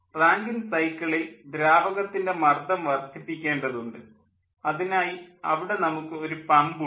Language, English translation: Malayalam, in rankine cycle also, fluid pressure is to be increased, and there we are having a pump